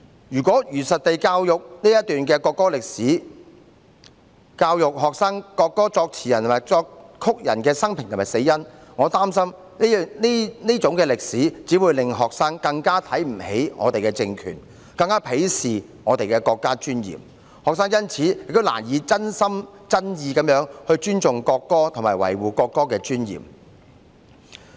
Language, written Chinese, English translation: Cantonese, 如果如實地教育這段國歌歷史，教育學生國歌作詞人和作曲人的生平和死因，我擔心這段歷史只會讓學生更看不起我們的政權，更鄙視我們的國家尊嚴，學生亦因此難以真心真意尊重國歌，維護國歌的尊嚴。, If we truthfully teach this history of the national anthem and educate the students on the biography and cause of death of the lyricist and composer of the national anthem I am afraid this history will only make the students despise our regime even more and hold our national dignity in contempt even more . The students will therefore find it difficult to sincerely respect the national anthem and preserve its dignity